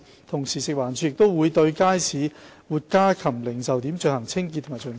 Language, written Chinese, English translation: Cantonese, 同時，食環署亦會對街市活家禽零售點進行清潔及巡查。, FEHD also carries out cleaning operations and inspections at live poultry retail outlets in markets